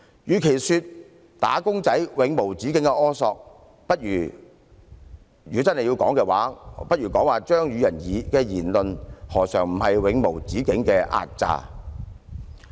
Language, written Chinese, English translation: Cantonese, 與其說"打工仔"的要求是永無止境的苛索，不如說張宇人議員的言論不是代表了一種永無止境的壓榨。, Rather than saying that the requests of wage earners are insatiable demands we should say that Mr Tommy CHEUNGs remarks represent a kind of incessant exploitation